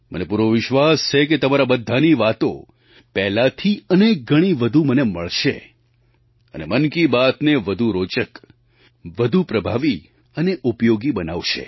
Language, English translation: Gujarati, I firmly believe that your ideas and your views will continue reaching me in even greater numbers and will help make Mann Ki Baat more interesting, effective and useful